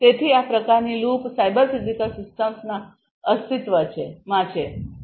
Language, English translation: Gujarati, So, this kind of loop is going to exist in cyber physical systems